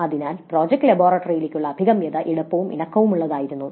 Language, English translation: Malayalam, So, access to the project laboratory was easy and flexible